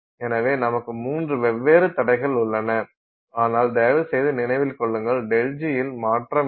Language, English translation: Tamil, So, we have three different barriers but please remember delta g is exactly the same